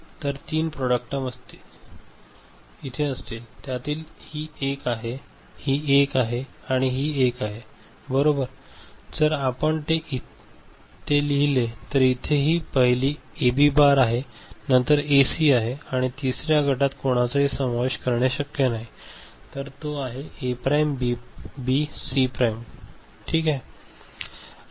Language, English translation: Marathi, Three product terms will be there, so this is one, this is one and this is one, right and if you write it then it will be this one is AB bar, first one is this one is A B bar, then this one is A C and the third one which cannot be included any group one member